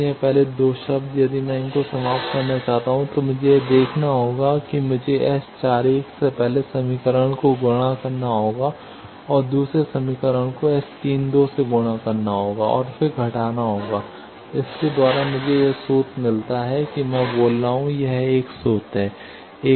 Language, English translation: Hindi, So, these first 2 terms if I want to eliminate you see that I need to multiply by S 41 the first equation and multiply by S 32 the second equation and then subtraction, by that I get this formula that I am calling a, this is one formula